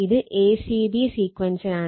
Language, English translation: Malayalam, So, in this is a c and a c b sequence right